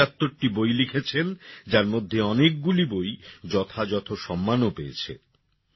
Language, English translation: Bengali, He has written 75 books, many of which have received acclaims